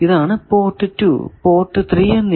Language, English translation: Malayalam, So, you see these 2 are 2 and 3 port